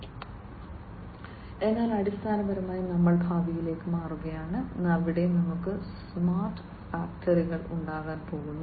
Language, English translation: Malayalam, So, essentially we are transforming into the future, where we are going to have smart factories